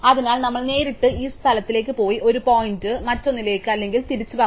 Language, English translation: Malayalam, So, which is we have to go directly to that place and make one point to the other or vice versa